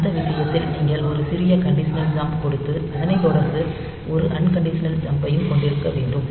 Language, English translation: Tamil, So, in that case you should have a small conditional jump followed by one unconditional jump